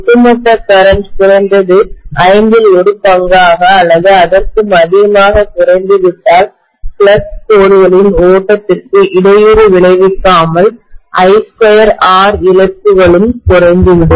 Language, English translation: Tamil, If the overall current has decreased to at least one fifth or even more, I am definitely going to have I square R losses also decreased without interrupting the flow of flux lines